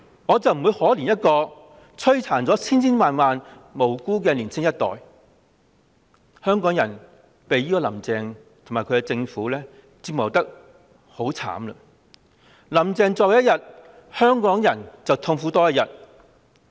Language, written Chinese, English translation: Cantonese, 我不會可憐一個摧殘了千千萬萬無辜年青一代的人，香港人被"林鄭"及其政府折磨得很悽慘，"林鄭"在位多一天，香港人便痛苦多一天。, I will not feel pity for a person who has devastated a whole generation of innocent youths thousands upon thousands of them . Hong Kong people have suffered a lot from Carrie LAM and her government . One more day she sits in office one more day Hong Kong people feel the pain